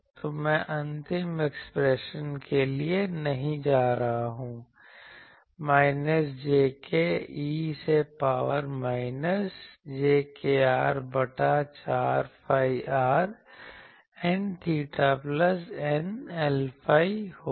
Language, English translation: Hindi, So, I am not going to the final expression will be minus jk e to the power minus jkr by 4 phi r N theta plus eta L phi